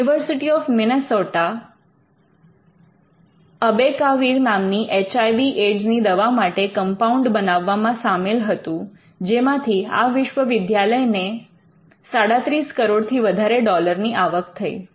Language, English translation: Gujarati, The University of Minnesota was involved in developing compounds behind abacavir which is a HIV aids drug and this made the university earn more than 370 million dollars